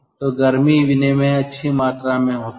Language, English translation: Hindi, so this type of heat exchangers are called